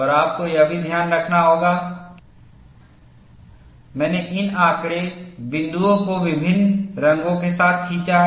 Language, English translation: Hindi, And you will have also have to keep in mind, that I have drawn these data points with different colors